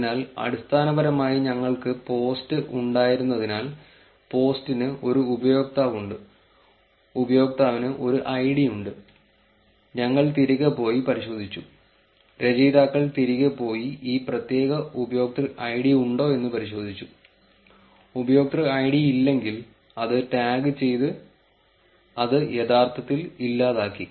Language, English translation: Malayalam, So, basically since we had the post, post has a user, user has a id, we went back and checked, authors went back and checked the whether this particular user id is there, if the user id is not there, it was tagged that it was actually deleted